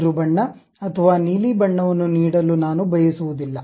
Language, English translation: Kannada, I do not want to give green color a blue color